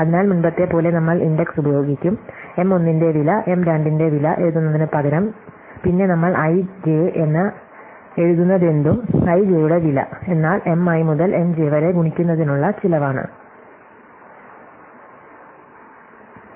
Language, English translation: Malayalam, So, as before we will just use the index, so instead of writing cost of M 1, cost of M 2, then whatever we will write i j, cost of i j is the cost of multiplying M i to M j in that whole sequence